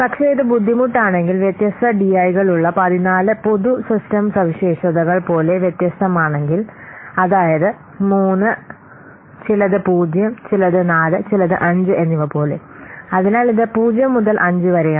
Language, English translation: Malayalam, But if it is different, like the 14 general system characteristics with different dies, like for something 3, something 0, something 4 and something 5, so it is ranging in between, it is ranking in between 0 to 5